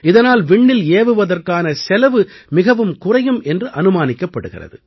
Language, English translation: Tamil, Through this, the cost of Space Launching is estimated to come down significantly